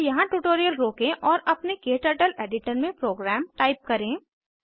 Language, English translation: Hindi, Please pause the tutorial here and type the program into your KTurtle editor